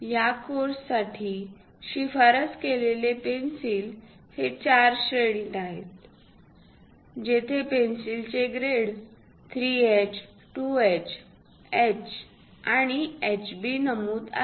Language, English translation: Marathi, The recommended pencils for this course are these four grades ; grade of the pencil where 3H, 2H, H, and HB are mentioned